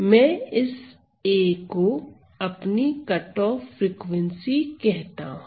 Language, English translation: Hindi, So, I call this a as my cutoff frequency